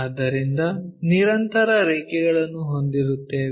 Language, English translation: Kannada, So, we will have continuous lines